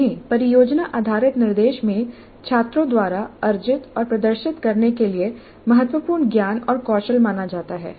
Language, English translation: Hindi, These are considered important knowledge and skills to be acquired and demonstrated by students in project based instruction